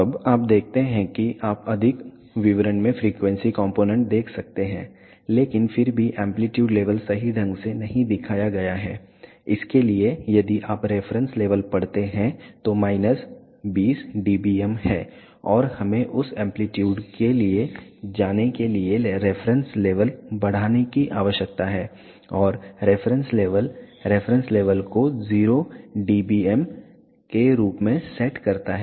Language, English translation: Hindi, Now, you see that you can view the frequency component in more details, but still the amplitude level is not correctly shown, for that if you read the reference level is minus 20 dBm and we need to increase the reference level for that go to amplitude and reference level set the reference level as 0 dBm